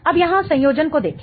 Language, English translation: Hindi, Now, look at the connectivity here